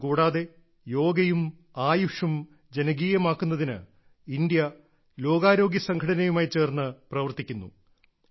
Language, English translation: Malayalam, Apart from this, India is working closely with WHO or World Health Organization to popularize Yoga and AYUSH